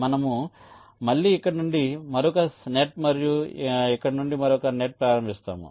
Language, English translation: Telugu, we again start another net from here and another net from here